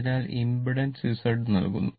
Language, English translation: Malayalam, So, impedance will be Z right, impedance will be Z right